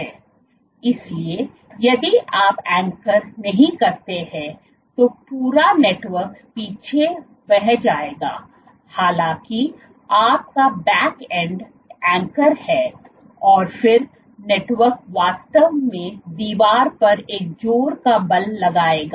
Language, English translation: Hindi, So, if you do not anchor then the entire network will flow back; however, your back end is anchored then the network will actually exert a pushing force on the wall